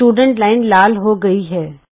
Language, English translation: Punjabi, The Student Line has become red